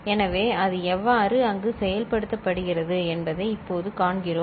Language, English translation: Tamil, So, now we see how it is getting implemented there